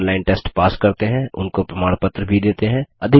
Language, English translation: Hindi, We also give certificates to those who pass an online test